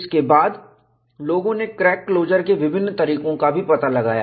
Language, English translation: Hindi, Then, people also identified different modes of crack closure